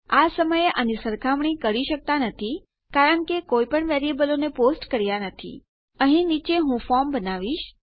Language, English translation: Gujarati, At the moment we cant compare these because we havent posted any variables Down here Ill create a form